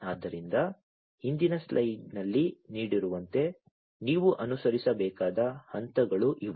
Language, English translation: Kannada, So, these are the steps that you will have to follow as given in the previous slide